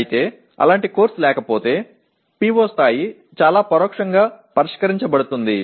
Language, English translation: Telugu, But if there is no such course, the PO level only gets addressed possibly very indirectly